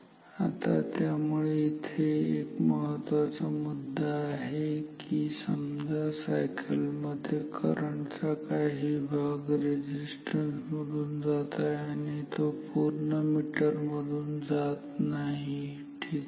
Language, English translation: Marathi, So, say in the in one cycle current is flowing partly through this resistance not its not going completely through the meter ok